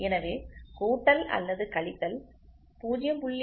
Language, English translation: Tamil, So, plus or minus 0